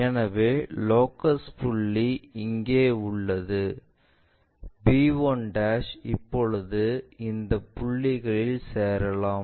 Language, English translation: Tamil, So, the locus point is here b 1' now let us join these points